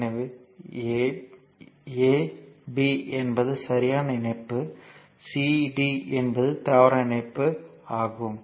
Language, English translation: Tamil, So, a b are valid connection c d are invalid connection